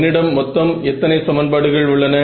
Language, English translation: Tamil, How many equations you have a in total with me now